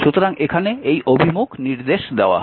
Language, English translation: Bengali, So, it is this direction is given here